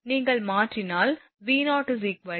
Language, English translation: Tamil, If you substitute then V0 will be 2